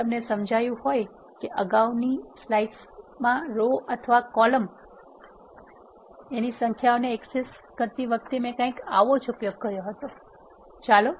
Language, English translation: Gujarati, If you would have realized I would have used something similar while accessing the number of rows or columns in the previous slides